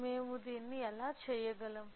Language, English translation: Telugu, How can we do